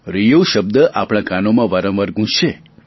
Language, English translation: Gujarati, RIO is going to resound in our ears time and again